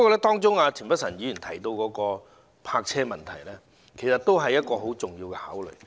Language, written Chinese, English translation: Cantonese, 不過，田北辰議員提及的泊車問題也十分重要。, Nonetheless the parking issue mentioned by Mr Michael TIEN is also highly important